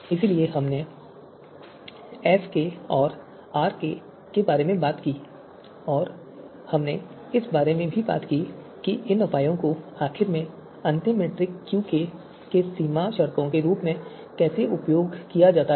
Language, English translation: Hindi, So we talked about you know SK and RK and we also talked about how these two you know measures are then finally used as boundary you know conditions in the final metric that is a QK